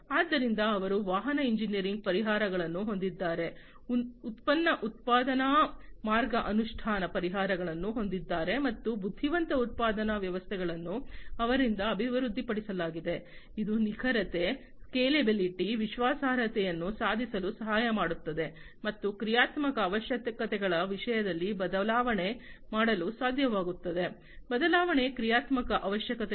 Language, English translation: Kannada, So, they have vehicle engineering solutions, product production line implementation solutions, and the intelligent production systems are developed by them, which can be help in achieving accuracy, scalability, reliability and also being able to change in terms of the dynamic requirements, change in the dynamic requirements, and so on